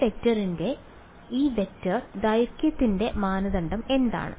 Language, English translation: Malayalam, What is the norm of this vector length of this vector